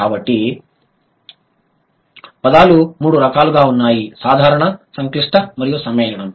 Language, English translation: Telugu, So, words are of three types, simple, complex and compound